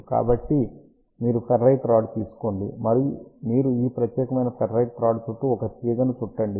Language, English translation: Telugu, So, you take a ferrite rod and you wrap the wire around this particular ferrite rod